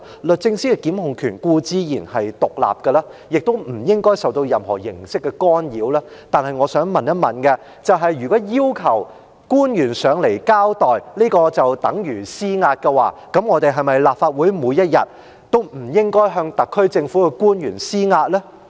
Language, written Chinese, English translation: Cantonese, 律政司的檢控權固然獨立，亦不應該受到任何形式的干擾，但我想問，如果要求官員來立法會交代便等於施壓，立法會是否每天都不應該向特區政府的官員施壓呢？, Surely DoJs prosecution powers should be independent and free from any form of interference but I wish to ask if requesting public officers to give an explanation to the Legislative Council is tantamount to exertion of pressure should the Legislative Council refrain from putting pressure on the officials of the SAR Government every day?